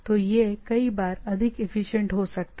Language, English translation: Hindi, So, it can be at times more efficient